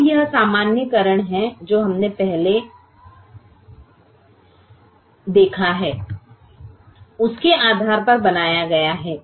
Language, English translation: Hindi, now that is the generalization that we have made based on what we have seen earlier